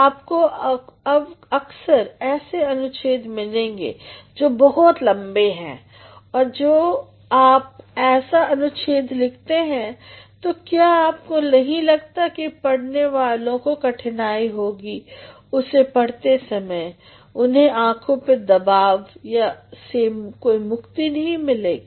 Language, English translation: Hindi, You will sometimes come across paragraphs which are very long, and when you are writing such a paragraph do not you think that the readers will develop a sort of difficulty when they are reading they will not be able to have a sort of eye relief